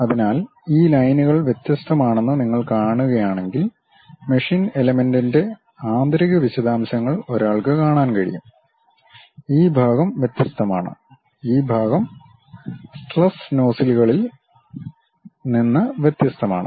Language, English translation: Malayalam, So, if you are seeing these lines are different, the interior details of the machine element one can see; this part is different, this part is different the stress nozzles